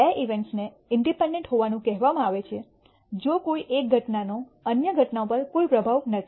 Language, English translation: Gujarati, Two events are said to be independent, if the occurrence of one has no influence on the occurrence of other